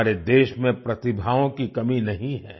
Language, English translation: Hindi, There is no dearth of talent in our country